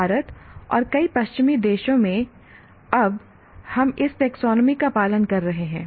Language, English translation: Hindi, In India and many of the Western countries, we are now following this taxonomy